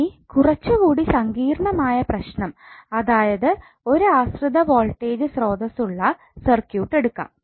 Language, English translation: Malayalam, Now let us take slightly complex problem where you have 1 dependent voltage source in the circuit